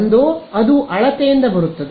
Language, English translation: Kannada, Either it will come from measurement